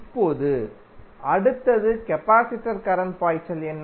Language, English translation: Tamil, Now, next is what is the current flowing in the capacitor